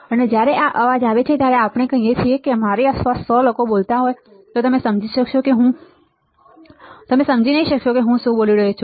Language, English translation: Gujarati, And when this is a noise right at let us say if there are 100 people around me all talking then you may not understand what I am talking